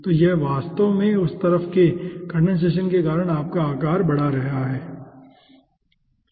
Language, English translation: Hindi, so it is ah actually increasing its size due to the ah condensation for the at that side, okay